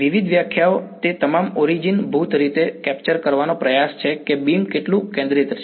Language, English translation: Gujarati, Various definitions all of them are basically attempts to capture how focused the beam is